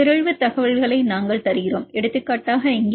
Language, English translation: Tamil, Then we give the mutation information for example, here K91R